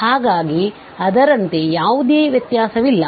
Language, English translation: Kannada, So there is no difference as such